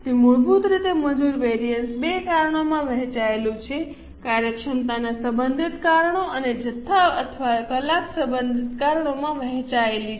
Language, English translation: Gujarati, So, basically, the labor variance is divided into two causes, efficiency related causes and quantity or hour related causes